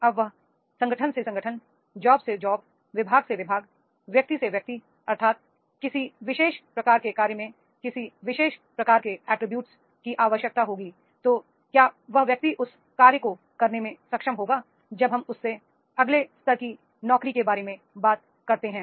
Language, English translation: Hindi, Now it will vary from organization to organization, job to job, department to department, individual to individual, that is in a particular job what a type of attribute is required so that is the whether the person is able to do when we talk about the next level jobs